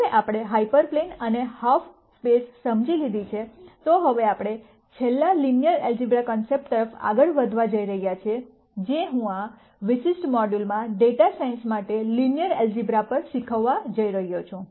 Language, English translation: Gujarati, Now, that we have understood hyper planes and half spaces we are going to move on to the last linear algebra concept that I am going to teach in this module on linear algebra for data sciences